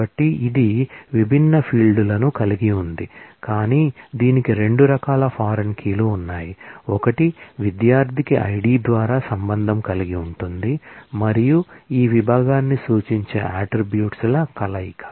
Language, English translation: Telugu, So, it relates different it has a set of fields but it has 2 kinds of foreign keys, one that relate to the student through the ID and this combination of attributes which refer to the section